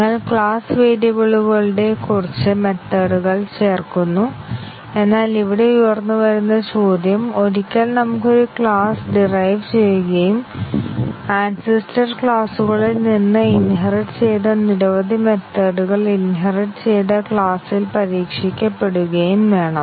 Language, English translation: Malayalam, We just add few methods of class variables, but then the question here is that, once we have a derived class and it inherits many of the methods from the ancestor classes should the inherited methods be tested in the derived class